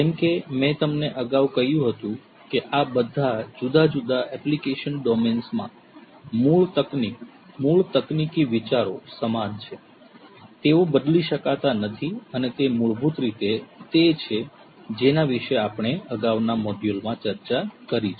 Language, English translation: Gujarati, As I told you earlier as well that in all of these different application domains, the core technology, the core technological ideas remain the same; they cannot be changed and they are basically the ones that we have discussed in the previous modules